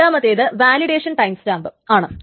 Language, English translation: Malayalam, The second is the validation timestamp